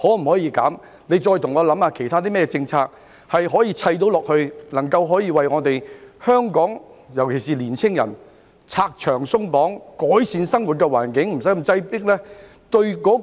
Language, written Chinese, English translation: Cantonese, 我再請局長想一想，可引入甚麼其他政策，為我們香港人"拆牆鬆綁"，改善生活環境，免得那麼擠迫？, I urge the Secretary again to contemplate what other policies can be introduced to remove barriers and relax restrictions so that Hong Kong people particularly the young people can improve their living conditions and spare themselves from such crowdedness